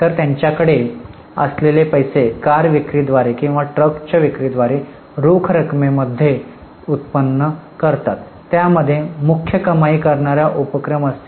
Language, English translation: Marathi, So, money which they generate in cash by sale of car or by sale of a truck will be their principal revenue generating activity